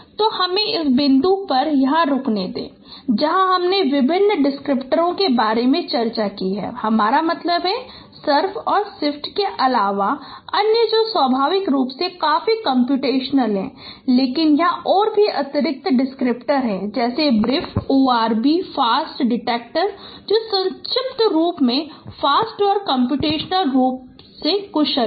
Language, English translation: Hindi, So let me stop here at this point where we have discussed no various descriptors I mean other than surf and shift which are quite competitionally intensive but include there are also additional descriptors like brief word be and also a fast detector which acronym is also fast and they are competition efficient